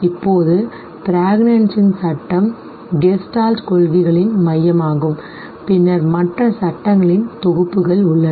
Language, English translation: Tamil, Now, law of pregnancy is the core of the Gestalt principles and then there are whole other sets of laws